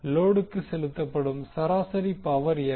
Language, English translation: Tamil, What is the average power delivered to the load